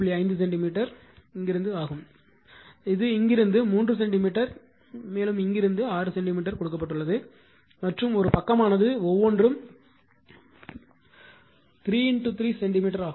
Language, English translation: Tamil, 5 centimeter this also it is given from here to here 3 centimeter from here to here it is 6 centimeter it is given right and side is actually your what you call sides are 3 into 3 centimeter each